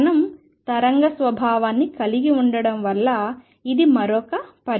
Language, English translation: Telugu, This is another consequence of particle having a wave nature